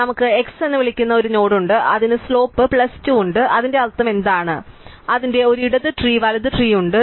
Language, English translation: Malayalam, So, we have a node which we call x which has slope plus 2 and what it means is, it has a left tree and right tree